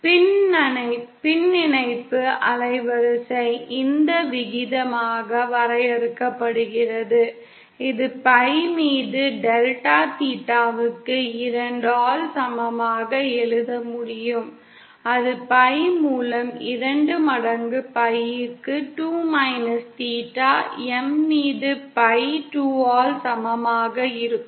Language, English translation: Tamil, Fractional band width is defined as this ratio, which I can also write as equal to delta theta upon pi by 2 and that is equal to twice of pi by 2 minus theta M upon pi by 2